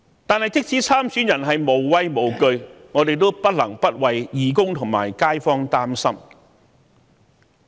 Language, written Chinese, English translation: Cantonese, 但是，即使參選人是無畏無懼，我們也不得不為義工和街坊擔心。, Yet although our candidates are serving without fear we cannot help but worry about our volunteers and residents in the community